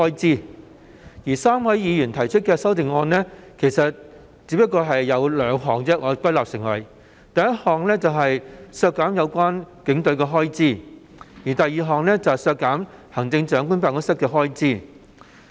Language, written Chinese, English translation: Cantonese, 至於3位議員提出的修訂議案，按我歸納得出只涉及兩項事宜：其一是削減有關警隊的開支；其二是削減行政長官辦公室的開支。, As regards the amendments proposed by the three Members I have come to the conclusion that the amendments concern only two issues one is to reduce the estimated expenditure for the Police Force and the other is to reduce the estimated expenditure for the Chief Executives Office CEO